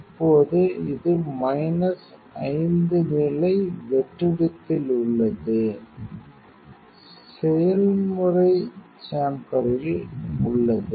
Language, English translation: Tamil, Now, it is in minus 5 level vacuum is there in process chamber your process chamber